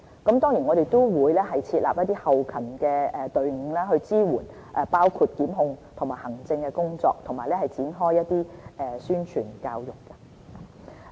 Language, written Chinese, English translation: Cantonese, 此外，我們也會設立一些後勤隊伍，支援包括檢控和行政工作，並展開宣傳教育。, Furthermore teams will be established to provide back - end support for tasks including prosecution and administration . We will also carry out publicity and education